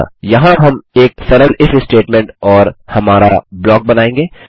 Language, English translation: Hindi, So here we will create a simple if statement and our block